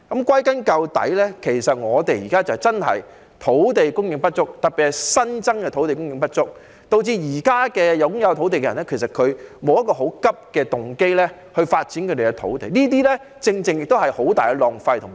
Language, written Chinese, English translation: Cantonese, 歸根究底，香港現在土地供應的確不足，特別是新增的土地供應不足，導致現時擁有土地的人沒有很急切的動機發展他們的土地，於是讓土地"曬太陽"，實在是非常浪費。, After all there is currently insufficient supply of land in Hong Kong especially the supply of new sites which has deterred the owners of brownfield sites from hastily developing their land . As a result these sites will be left lying idle under the sun which is very wasteful indeed